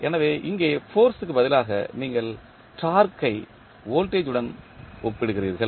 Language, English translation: Tamil, So, where you instead of force you compare torque with the voltage